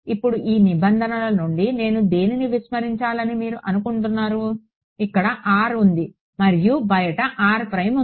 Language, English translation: Telugu, Now from these terms which can you think I can ignore anyone term from here given that r lives over here and r prime lives outside